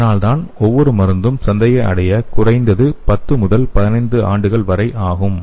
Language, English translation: Tamil, So that is why each and every drug it is taking at least 10 to 15 years to reach the market